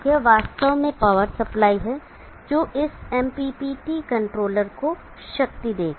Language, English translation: Hindi, It is actually the power supply that will be powering up this MPPT controller